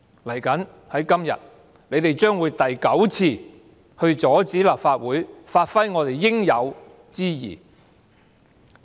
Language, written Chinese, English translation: Cantonese, 接着下來，今天，他們將會第九次阻止立法會盡應有之義。, Later on today they will block this Council from performing its proper responsibility for the ninth time